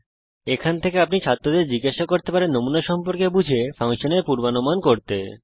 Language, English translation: Bengali, From this data you can ask the students to understand the pattern and predict the function